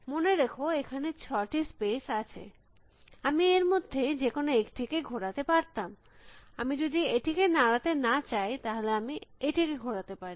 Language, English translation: Bengali, Remember there are six spaces, I could have moved any of those six spaces, if I am not going to disturb this, I can move only this